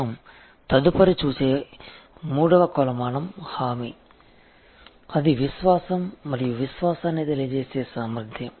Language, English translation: Telugu, The next dimensions that we will look at the next three dimensions are assurance; that is the ability to convey trust and confidence